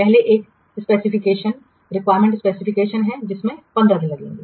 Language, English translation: Hindi, What is the first, first one is specification, requirement specification that will take 15 days